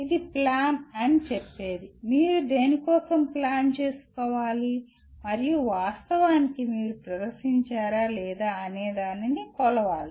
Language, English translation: Telugu, What it says “plan”, you have to plan for something and actually have to perform and measure whether you have performed or not